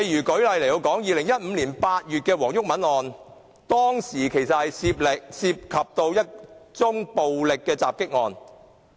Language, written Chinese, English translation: Cantonese, 舉例來說 ，2015 年8月的黃毓民案件，是一宗暴力襲擊案。, For instance the incident involving Mr WONG Yuk - man which happened in August 2015 was a violent assault